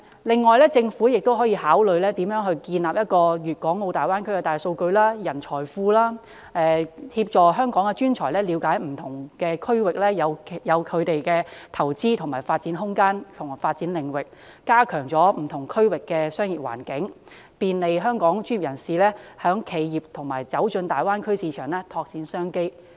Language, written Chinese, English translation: Cantonese, 另外，政府也可考慮建立一個大灣區的大數據資料庫及人才庫，協助香港專才了解不同地區可投資或發展的空間和領域，加強不同區域的商業環境，便利香港專業人士和企業進入大灣區市場，拓展商機。, Besides the Government can also consider building a big data database and a pool of talents related to the Greater Bay Area to assist Hong Kong professionals in understanding the room and range of investment or development in different districts to enhance the business environment in different regions and to facilitate the entry of Hong Kong professionals and enterprises in the Greater Bay Area market for exploring new business opportunities